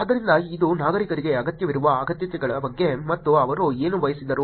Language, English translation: Kannada, So, this is about needs which is what this needed by the citizens, and what did they want also